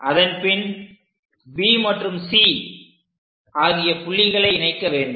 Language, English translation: Tamil, Then join B point all the way to C point